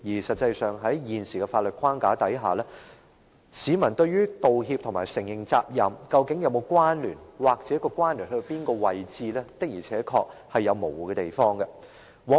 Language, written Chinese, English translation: Cantonese, 實際上，在現時的法律框架下，對於道歉和承認責任，究竟是否有關聯或相關的程度如何，市民的而且確是有模糊的地方。, As a matter of fact under the present day legal framework people are certainly confused in some ways whether and how an apology and an admission of responsibility are related